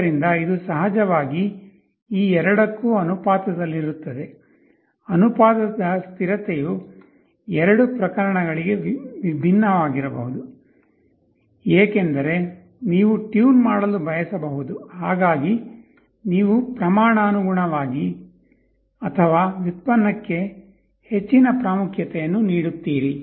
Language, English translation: Kannada, So, this will be proportional to both of these of course, the proportionality constant may be different for the two cases because, you may want to tune such that you will be giving more importance to proportional or more importance to derivative